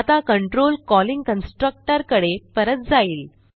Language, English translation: Marathi, Now, the control goes back to the calling constructor